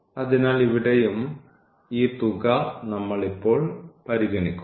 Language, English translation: Malayalam, So, here as well so, we will consider this sum now